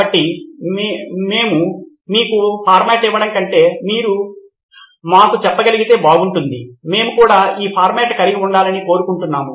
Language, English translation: Telugu, So even more than we giving you a format it would be nice if you can tell us, we would like to have this format also